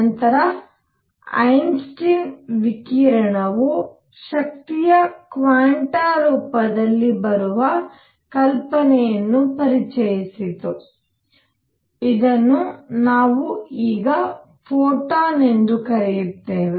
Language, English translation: Kannada, Then Einstein introduced the idea of the radiation itself coming in the form of energy quanta, which we now call photons